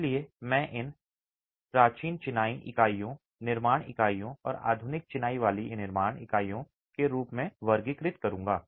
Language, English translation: Hindi, So I would rather classify these as ancient masonry units, construction units, and modern masonry construction units in the first place